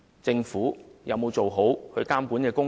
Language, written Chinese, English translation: Cantonese, 政府有沒有做好監察工作？, Has the Government done its supervision work properly?